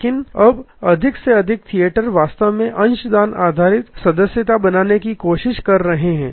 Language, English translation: Hindi, But, now more and more theaters are actually trying to create a subscription based a membership relation